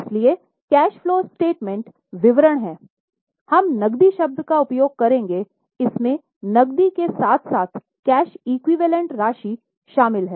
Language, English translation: Hindi, So, whenever in cash flow statement henceforth we will use the term cash, it includes balances of cash plus cash equivalent